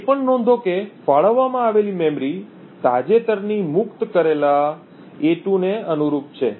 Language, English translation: Gujarati, Also note that the memory that gets allocated corresponds to the recently freed a2